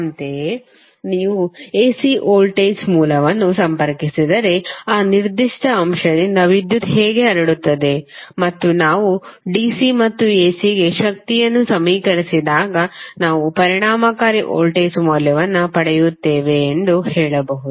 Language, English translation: Kannada, Similarly you can say that if you connect the AC voltage source then how power would be dissipated by that particular element and when we equate the power for DC and AC we get the value of effective voltage